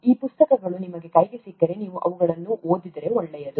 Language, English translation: Kannada, If you get your hands on these books, it might be good if you read them